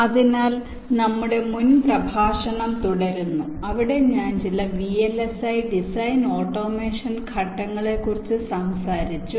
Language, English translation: Malayalam, so we continue with our this previous lecture where i talked about some of the vlsi design automation steps